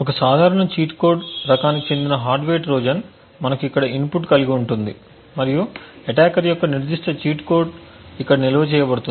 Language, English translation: Telugu, A typical cheat code type of hardware Trojan would look something like this we have a input over here and the attackers specific cheat code is stored over here